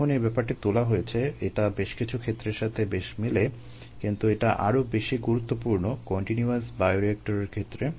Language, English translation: Bengali, ah, when that has been brought in, it could be relevant in some situations but it is more important for the continuous bioreactor situation